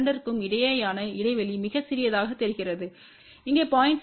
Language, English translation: Tamil, And the gap between the two which looks very small over here is about 0 point 6 mm